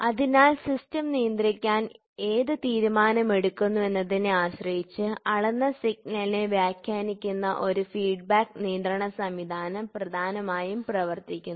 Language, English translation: Malayalam, So, a feedback control system essentially controls that interprets the measured signal depending on which decision is taken to control the system